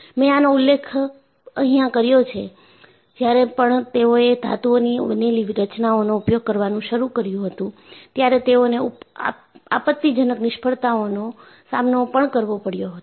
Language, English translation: Gujarati, And, as I mentioned, when they started using structures made of metals, they had to come up and deal with catastrophic failures